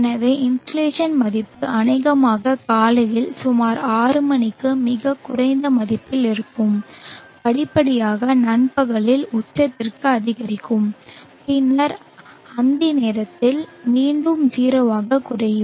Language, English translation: Tamil, So insulation value would probably be at a pretty low value at around 6 o clock in the morning and gradually increase to a peak at noon and then further decrease again to 0 by dusk